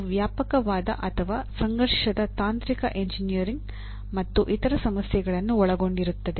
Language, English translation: Kannada, They involve wide ranging or conflicting technical engineering and other issues